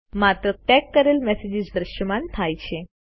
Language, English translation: Gujarati, Only the messages that we tagged are displayed